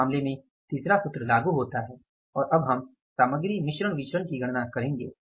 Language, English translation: Hindi, So, third case is applicable in this case and now we will calculate this material mix various